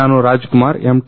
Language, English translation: Kannada, I am Rajkumar M